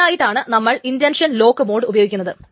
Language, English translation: Malayalam, So this is why the intention lock mode is being used